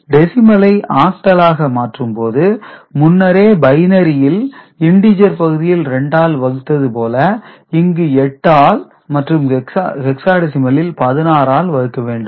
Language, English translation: Tamil, And decimal to octal earlier you have done for binary, it was division by 2 for the integer part, it will be division by 8 or 16 for the integer part